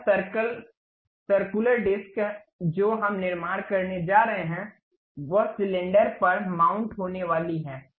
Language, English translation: Hindi, This circle circular disc what we are going to construct, it is going to mount on the cylinder